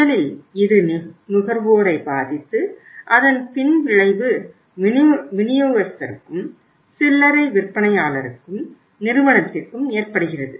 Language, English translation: Tamil, First it disturbs the consumer and the aftermath effect of it is to the distributor, to the retailer or to the company also